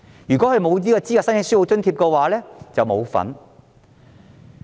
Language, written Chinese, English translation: Cantonese, 如果沒有資格申請書簿津貼，便不能受惠。, For those who are not eligible for textbook assistance they will receive no benefits